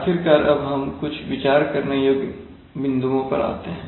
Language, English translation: Hindi, Finally we come to some points to ponder